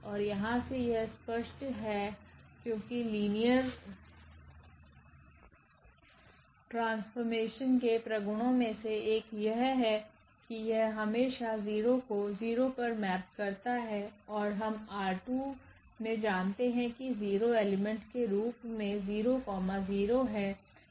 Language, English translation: Hindi, And this is clear from here because one of the properties of the linear map is that it always maps 0 to 0 and we have here in R 2 our 0 element is nothing but 0 comma 0, that is the element in R 2